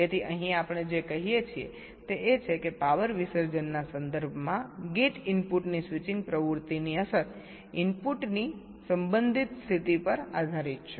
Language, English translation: Gujarati, so we here, what we says is that the impact of the switching activity of a gate input with respect to power dissipation depends on the relative position of the input